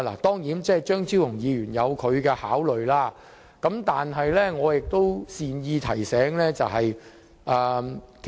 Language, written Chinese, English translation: Cantonese, 當然，張超雄議員有他的考慮，但我想善意提醒一下。, Of course Dr Fernando CHEUNG has his considerations but I would like to give a kind reminder